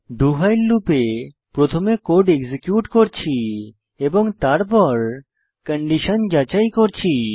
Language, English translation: Bengali, In the do...while loop, we are first executing the code and then checking the condition